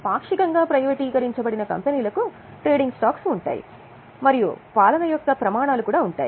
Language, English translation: Telugu, Now, the companies which are partly privatized, they have got trading stocks and there are also standards of governance